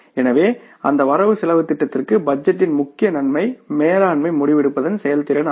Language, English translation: Tamil, So for that budgeting, the major benefit of budgeting is the effectiveness of management decision making